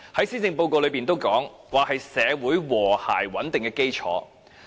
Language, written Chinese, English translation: Cantonese, 施政報告也指出，房屋是社會和諧穩定的基礎。, The Policy Address also pointed out that housing is fundamental to social harmony and stability